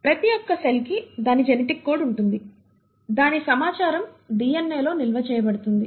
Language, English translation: Telugu, So each cell has its genetic code, its information stored in the DNA